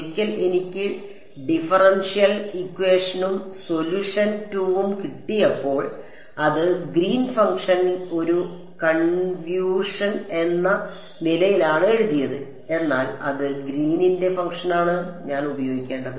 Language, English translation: Malayalam, Well once I got the differential equation and the solution 2 it was written in terms of Green’s function as a convolution, but which Green’s function did I have to use